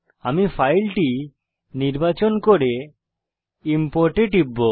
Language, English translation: Bengali, I will choose the file and click on Import